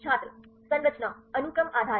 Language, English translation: Hindi, structure; sequence based